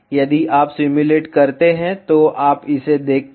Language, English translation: Hindi, If you simulate, you see this